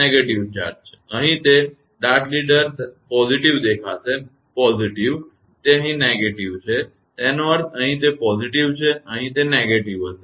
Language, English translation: Gujarati, Now here it is dart leader look positive; positive; it is negative here; that means, here it is positive, here it will negative